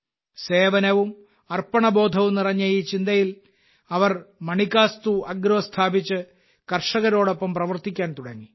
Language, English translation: Malayalam, With this thinking full of service and dedication, they established Manikastu Agro and started working with the farmers